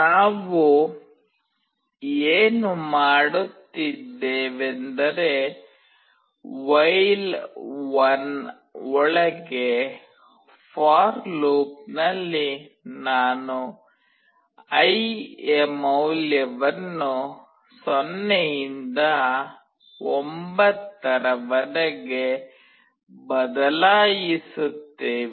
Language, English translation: Kannada, In while what we are doing is that in the for loop we vary the value of i from 0 to 9